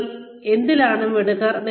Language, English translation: Malayalam, What are you good at